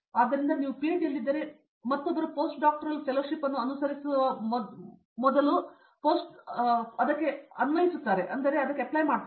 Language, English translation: Kannada, So, the other if you are in PhD the same thing applies for a post doctoral fellowship before you go pursue post doctoral fellowship